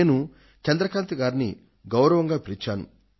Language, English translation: Telugu, I called Chandrakantji face to face